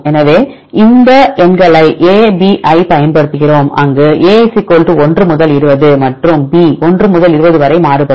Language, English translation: Tamil, So, we use these numbers a,b right where a = 1 to 20 and b also varies from 1 to 20